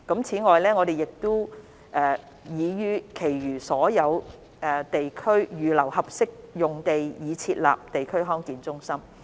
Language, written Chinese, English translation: Cantonese, 此外，我們已於其餘所有地區預留合適用地以設立地區康健中心。, In addition suitable sites have been identified for setting up DHCs in the remaining districts